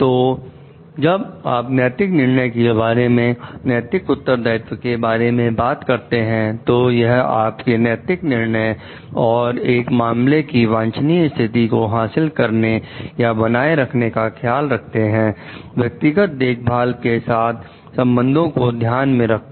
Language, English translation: Hindi, So, when you talking of moral judgments, moral responsibility, it is using your moral judgment and to care to achieve or maintain a desirable state of affairs, to with regard to whatever is in the person s care